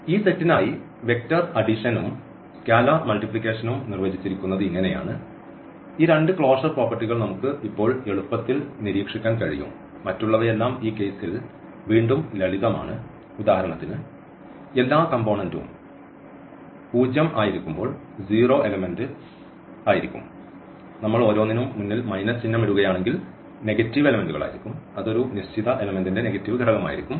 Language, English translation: Malayalam, So, this is how these vector addition and the scalar multiplication is defined for this set and what we can easily now observe those two closure properties at least because all others are trivial in this case again like for instance the zero element will be when all these components are zero and so on, the negative elements will be when we put the minus sign in front of each so, that will be the negative element of a given element